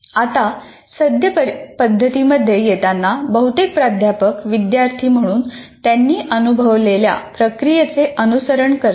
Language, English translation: Marathi, Now coming to the current practices, most faculty members simply follow the process they experienced as students